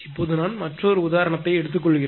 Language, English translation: Tamil, Now, I take another example